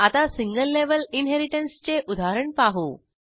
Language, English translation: Marathi, Now let us see an example on single level inheritance